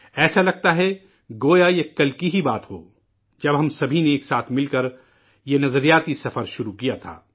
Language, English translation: Urdu, It seems like just yesterday when we had embarked upon this journey of thoughts and ideas